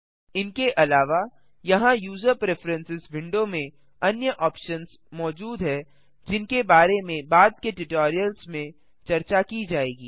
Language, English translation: Hindi, Apart from these there are other options present in user preferences window which will be discussed in the later tutorials